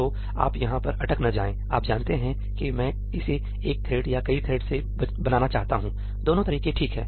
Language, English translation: Hindi, So, do not get stuck on whether I am supposed to create it from one thread or multiple threads either way is fine